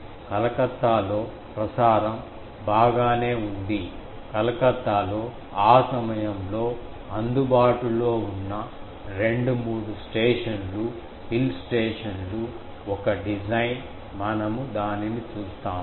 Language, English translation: Telugu, In Calcutta, the transmission is that in Calcutta all the two, three stations, hill stations that time available, one design we look at up to that